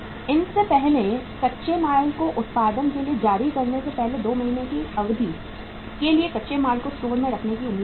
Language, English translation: Hindi, Raw materials are expected to remain in store for an average period of 2 months before these are issued for production